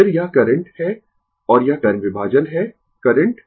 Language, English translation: Hindi, Then , this is the current and this is the current division right, current